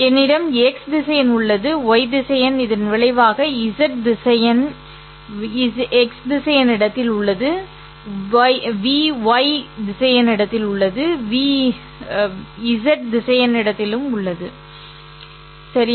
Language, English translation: Tamil, I have x vector plus y vector which results in z vector x lies in vector space v, y lies in vector space v, z also lies in the vector space v